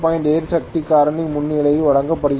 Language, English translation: Tamil, 8 power factor leading